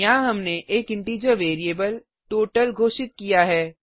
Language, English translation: Hindi, Here we have declared an integer variable total